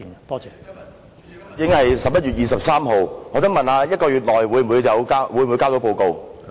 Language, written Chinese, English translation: Cantonese, 今天已經是11月23日，我想問在1個月內是否能夠提交報告？, Today is already 23 November . May I ask the Secretary if a report can be submitted within one month?